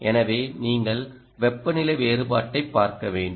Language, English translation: Tamil, so you must look at temperature differential